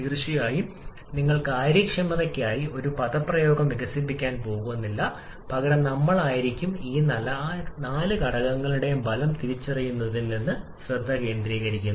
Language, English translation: Malayalam, And of course, you are not going to develop an expression for efficiency rather we shall be focusing on identifying the effect of all these four factors